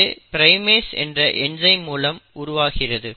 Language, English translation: Tamil, Now primase is a very interesting enzyme